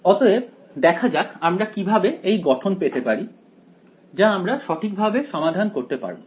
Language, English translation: Bengali, So, let us see how we can get it into the a form that we can solve right